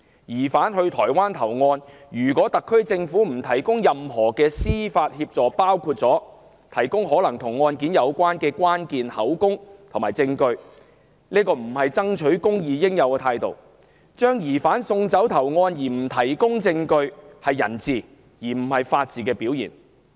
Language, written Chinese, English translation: Cantonese, 疑犯到台灣投案，特區政府不提供任何司法協助，包括提供可能與案件有關的關鍵口供和證據，並非爭取公義的應有態度；把疑犯送走投案卻不提供證據，是人治而非法治的表現。, It would not be the proper attitude adopted by one intent on seeing justice done to let the suspect surrender himself in Taiwan while withholding all legal assistance including the provision of key statements and evidence possibly relevant to the case as the SAR Government is prepared to do . It is a demonstration of the rule of man not the rule of law to have the suspect sent on his way to surrender without providing the relevant evidence